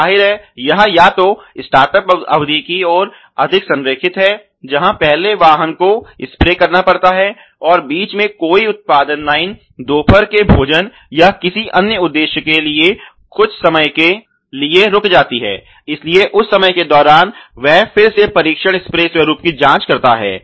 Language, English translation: Hindi, And then; obviously, this is aligned more towards either the startup period where the first vehicle has to be sprayed; and also after let say any ideal time in between let say the production line stop for some time for lunch or some other purpose, so during that time again he does the test spray pattern checking again ok